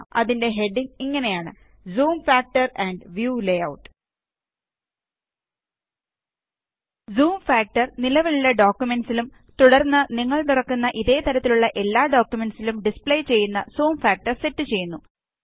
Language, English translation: Malayalam, It has headings namely, Zoom factor and View layout The Zoom factor sets the zoom factor to display the current document and all documents of the same type that you open thereafter